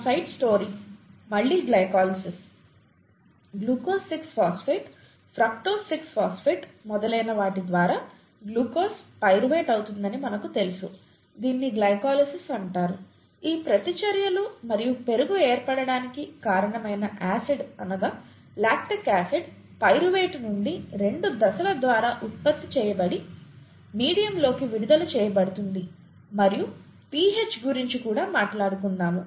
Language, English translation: Telugu, Now our side story here is glycolysis again, you know, we know that glucose going to pyruvate through glucose 6 phosphate, fructose 6 phosphate and so on so forth, is called glycolysis, these set of reactions and the curd formation happened because of the acid, the lactic acid that is produced from pyruvate through a couple of steps, gets released into the medium and the pH we will get to that and this causes curd formation, right